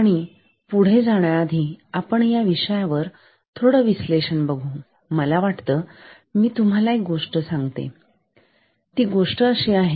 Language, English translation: Marathi, And, before proceeding on further discussion on this topic, I thought, I would just tell you a small story and the story is like this